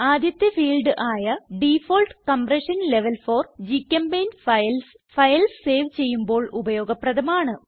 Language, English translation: Malayalam, The first field, Default Compression Level For GChemPaint Files, is used when saving files